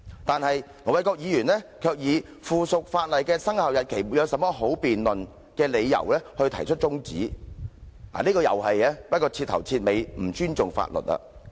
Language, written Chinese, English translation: Cantonese, 但是，盧議員卻以附屬法例的生效日期沒有甚麼好辯論為理由，動議中止待續議案，這是徹頭徹尾不尊重法律的做法。, Nevertheless Ir Dr LO moved an adjournment motion for the reason that there was not much to discuss about the commencement date of the subsidiary legislation . This is out - and - out disrespect for the law